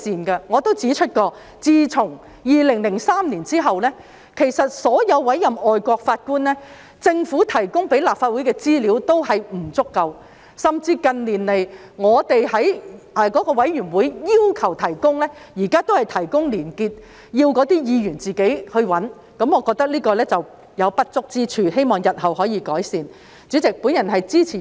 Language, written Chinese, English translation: Cantonese, 我亦曾指出，自2003年後，就所有外籍法官的委任安排，政府向立法會提供的資料均不足夠，甚至近年在委員會要求下，當局亦只是提供連結，要議員自己處理，我認為這有不足之處，希望當局日後可以改善。, As I have pointed out before regarding the appointment arrangements for all foreign judges since 2003 the information provided by the Government to the Legislative Council has been inadequate . Worse still in recent years even at the request of the relevant committees the authorities have merely provided links and Members have to handle this on their own . I think this is undesirable and I hope the authorities will make improvement in future